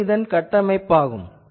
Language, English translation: Tamil, So, this is the model